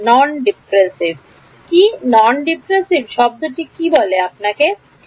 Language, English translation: Bengali, What is non dispersive, what is the word non dispersive tell you